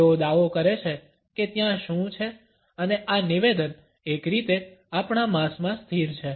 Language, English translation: Gujarati, They assert what is there and this assertion, in a way, is frozen in our flesh